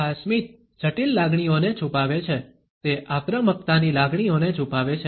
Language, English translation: Gujarati, This smile hides complex emotions, it hides emotions of aggression